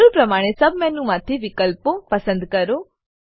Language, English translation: Gujarati, Select options from the sub menu, according to the requirement